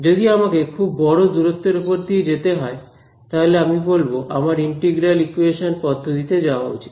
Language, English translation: Bengali, So, if I have propagation over long distances, over there I say I should switch to integral equation methods